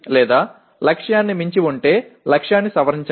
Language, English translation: Telugu, Or otherwise revise the target if it has exceeded the target